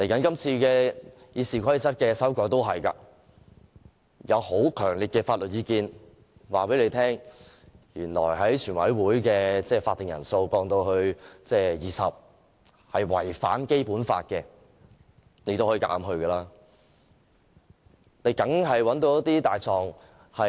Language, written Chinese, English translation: Cantonese, 今次修改《議事規則》也一樣，有很強烈的法律意見告訴主席，將全體委員會的法定人數降至20人是違反《基本法》的，但他仍強行這樣做。, The same is true of the amendments to RoP this time . Counsel has strongly suggested to the President that lowering the quorum of the Committee to 20 Members was in breach of the Basic Law but he is forcing it through anyway